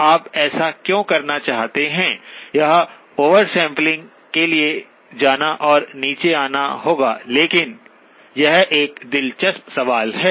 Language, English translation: Hindi, Why you would want to do that when going to oversampling and coming down would be, but it is an interesting question